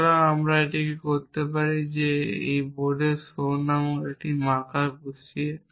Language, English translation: Bengali, So, we can do that simply here on the board by putting a marker called show